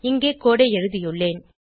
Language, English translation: Tamil, I have written the code here